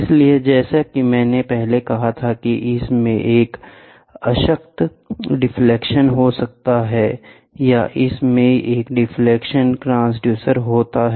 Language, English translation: Hindi, So, as I said earlier it can have a null deflection or it can have a deflection transducer